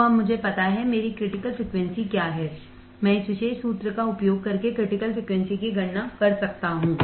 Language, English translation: Hindi, So, now, I know; what is my critical frequency I can calculate critical frequency using this particular formula